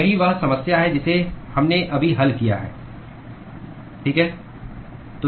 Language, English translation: Hindi, That is the problem that we just solved, right